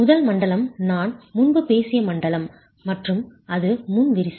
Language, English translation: Tamil, The first zone is the zone that I have spoken about earlier and that's pre cracking